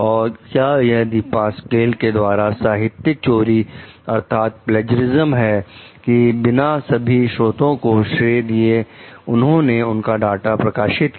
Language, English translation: Hindi, Is it plagiarism for Depasquale to publish the data without crediting all of the sources